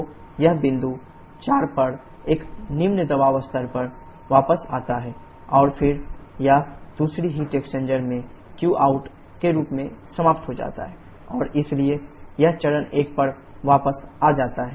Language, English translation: Hindi, So, it comes back to a lower pressure level at point 4 and then it exhausted in the form of qout in the second heat exchanger and so that it can go back to stage number 1